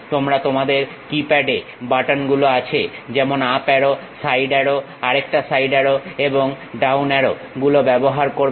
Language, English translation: Bengali, You use on your keypad there are buttons like up arrow, side arrow, another side arrow, and down arrow